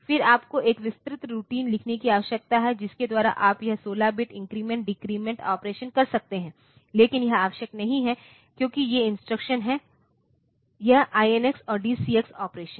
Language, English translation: Hindi, Then you need to write an elaborate routine by which you do you can do this 16 bit increment decrement operations, but that is not necessary because these instructions are there; this INX and DCX operation